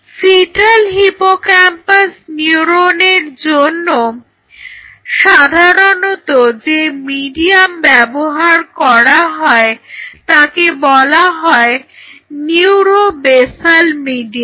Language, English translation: Bengali, So, the mediums which are commonly used for fetal hippocampal neuron are called neuro basal medium you can go online and check it out neuro basal medium